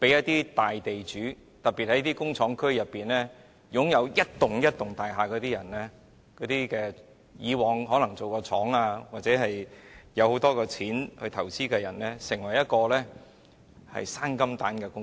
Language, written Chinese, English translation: Cantonese, 對於大地主，特別是那些在工廠區擁有一幢又一幢大廈，以往可能用作經營工廠或有很多餘錢進行投資的人來說，這便成為"生金蛋"的最好工具。, For major landowners especially those who have acquired a number of buildings in industrial areas in the past for running factories or investors who have a lot of extra money for investment industrial properties have become the best tools for producing golden eggs